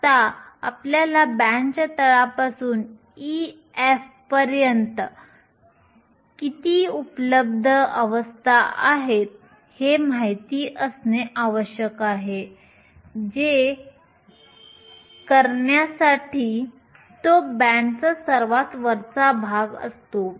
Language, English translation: Marathi, Now, we need to know how many available states are there from the bottom of the band up to e f, which is the top of the band to do that